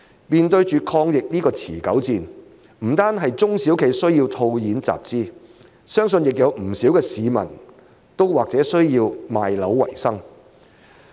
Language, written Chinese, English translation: Cantonese, 面對抗疫這場持久戰，不單中小企需要套現集資，相信不少市民也或者需要賣樓為生。, Amid this prolonged battle against the pandemic not only do SMEs need to free up cash to raise capital but many members of the public may also need to sell their properties to survive